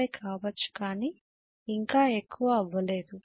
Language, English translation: Telugu, 85 not anything more than that